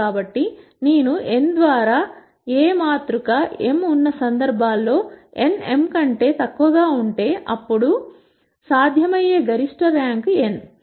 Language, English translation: Telugu, So, in cases where I have A matrix m by n, where n is smaller than m, then the maximum rank that is possible is n